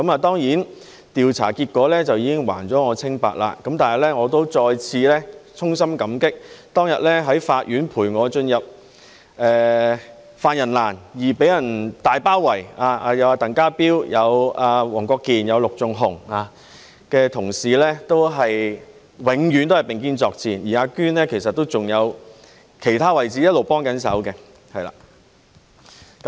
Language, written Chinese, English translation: Cantonese, 當然，調查結果已經還了我清白，但我仍要再次衷心感激當天在法院陪我進入犯人欄而遭受"大包圍"的鄧家彪、黃國健議員及陸頌雄議員等同事，他們永遠都是並肩作戰，而"阿娟"其實還有在其他位置一直幫忙。, Of course the investigation findings have cleared my name but I still have to express my heartfelt gratitude to various colleagues such as Mr TANG Ka - piu Mr WONG Kwok - kin and Mr LUK Chung - hung who were heavily besieged while accompanying me to the defendants dock in the courtroom on that day . They fought shoulder to shoulder as always and in fact Alice had also been helping out in other roles all along